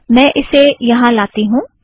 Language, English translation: Hindi, So let me bring it here